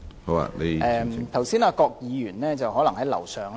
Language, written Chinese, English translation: Cantonese, 剛才我發言時，郭家麒議員可能在樓上。, Perhaps Dr KWOK Ka - ki was upstairs when I spoke just now